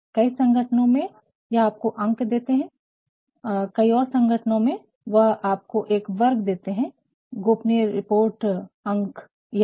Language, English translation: Hindi, In many organizations they provide you the number, in many organizations they also provide you a category confidential report number this and this fine